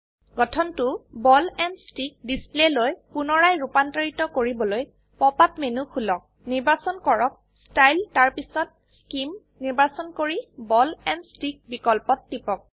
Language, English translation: Assamese, To convert the structure back to Ball and stick display, Open the pop up menu, select Style, then Scheme and click on Ball and stick option